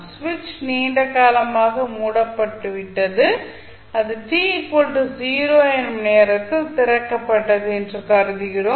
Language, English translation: Tamil, Now, we assume that switch has been closed for a long time and it was just opened at time t equal to 0